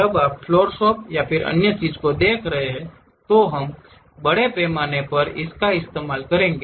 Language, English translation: Hindi, When you are really looking at floor shopping and other things, we will extensively use that